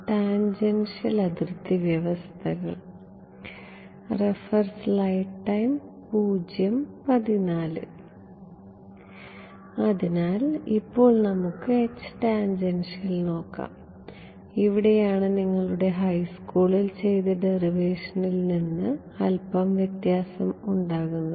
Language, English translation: Malayalam, So, now, let us look at the H tan, here is where the derivation differs a little bit from your high school derivation